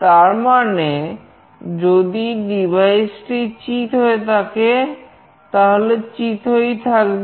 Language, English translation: Bengali, That means, if the device is flat, it will remain flat